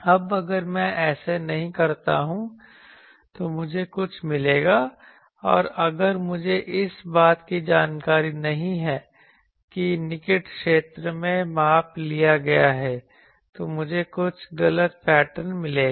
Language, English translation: Hindi, Now, if I do not do that I will get something and if I am not aware that it is measurement has been taken in the near field; then I will get some wrong pattern